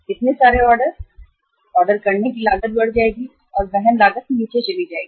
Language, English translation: Hindi, So many orders, the ordering cost will increase and the carrying cost will go down